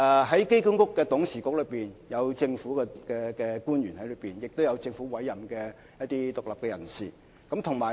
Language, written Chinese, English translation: Cantonese, 在機管局的董事局內，有政府官員及由政府委任的獨立人士。, Among the Board members of AA there are government officials and independent persons appointed by the Government